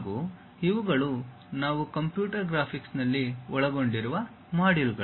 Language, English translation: Kannada, These are the modules what we will cover in computer graphics